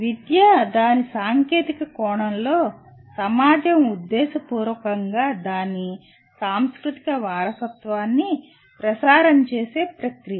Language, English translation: Telugu, Whereas education in its technical sense, is the process by which society deliberately transmits its “cultural heritage”